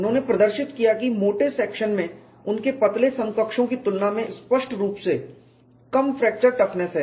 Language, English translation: Hindi, He demonstrated that thick sections have markedly lower fracture toughness than their thin counterparts